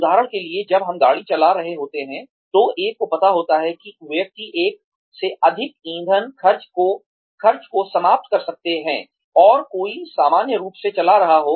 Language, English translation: Hindi, For example when we are driving, one knows that, one may end up spending, a lot more fuel than one would, if one was driving normally